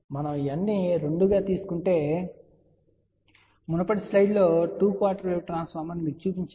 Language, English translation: Telugu, If we took n equal to 2, this is what I was I had shown you in the previous slide that two quarter wave transformer